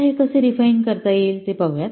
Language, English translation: Marathi, Now let's see how this can be refined